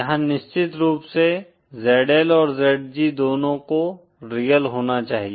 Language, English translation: Hindi, Here of course both ZL and ZG have to be real